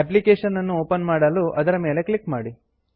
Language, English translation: Kannada, Click on it to open the application